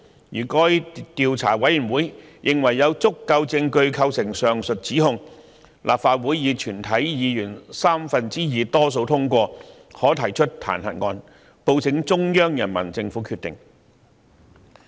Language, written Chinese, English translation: Cantonese, 如該調查委員會認為有足夠證據構成上述指控，立法會以全體議員三分之二多數通過，可提出彈劾案，報請中央人民政府決定。, If the committee considers the evidence sufficient to substantiate such charges the Council may pass a motion of impeachment by a two - thirds majority of all its members and report it to the Central Peoples Government for decision;